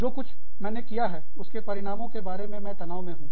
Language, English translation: Hindi, I am stressed about, the outcome of something, i have done